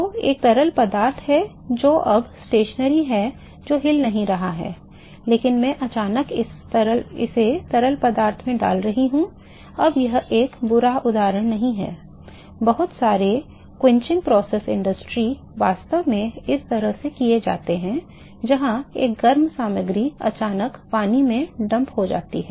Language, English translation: Hindi, So, there is a fluid which is now stationery it is not moving, but I am suddenly putting this into the fluid now this is not a bad example, lot of quenching process industry actually done this way, where a hot material is suddenly dump into water